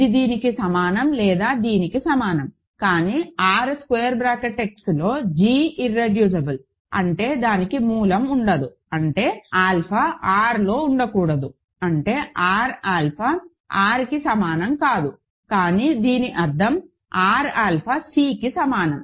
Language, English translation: Telugu, This is either equal to this or equal to this, but g is irreducible in R x; that means, it cannot have a root; that means, alpha cannot be in R; that means, R alpha is not equal to R, but that means, R alpha is equal to C